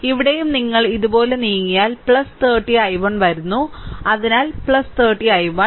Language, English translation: Malayalam, Then here also, if you move like this so plus 30 i 1 is coming so plus 30 i 1 right